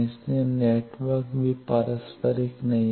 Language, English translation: Hindi, So, the network is not reciprocal also